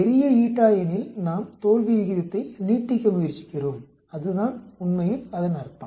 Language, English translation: Tamil, Larger the eta, we are trying to prolong the failure rate that is what it means actually